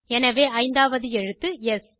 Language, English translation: Tamil, Therefore, the 5th character is S